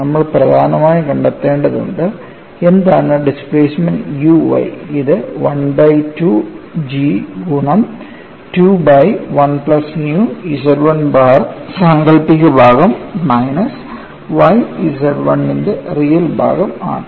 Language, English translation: Malayalam, We have to essentially find out, what is the displacement u y, and that is given as 1 by 2 G into 2 by 1 plus nu imaginary part of Z 1 bar minus y real part of Z 1